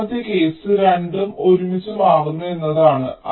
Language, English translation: Malayalam, second case is that both are switching together